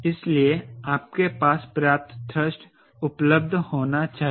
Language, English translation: Hindi, so you should have enough thrust available, right